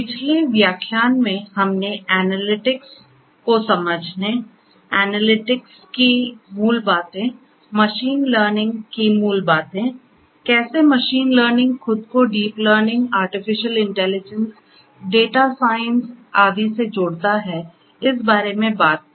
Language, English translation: Hindi, In the previous lecture we spoke about understanding analytics, the basics of analytics, the basics of machine learning, how machine learning positions itself with deep learning, artificial intelligence, data science and so on